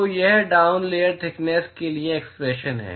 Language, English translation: Hindi, So, that is the expression for the down layer thickness